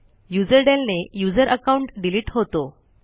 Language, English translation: Marathi, userdel command to delete the user account